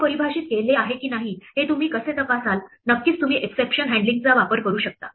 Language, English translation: Marathi, How would you go about checking if a name is defined, well of course you could use exception handling